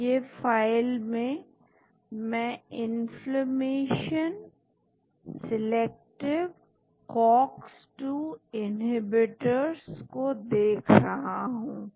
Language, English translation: Hindi, So, the file, so I am looking at inflammation selective COX 2 inhibitors